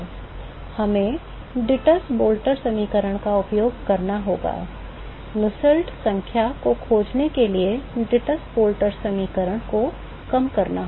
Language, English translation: Hindi, So, we have to use the Dittus Boelter equation, reduce the Dittus Boelter equation to find the Nusselt number